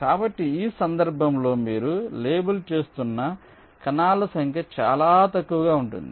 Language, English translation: Telugu, so number of cells you are labeling in this case will be much less